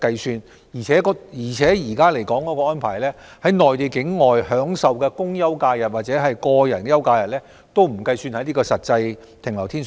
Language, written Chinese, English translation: Cantonese, 此外，根據現行安排，在內地境內享受的公休假日或個人休假日，不計算在實際停留天數內。, In addition under the current arrangement public holidays or personal leave days in the Mainland will not be counted in the actual number of days he has stayed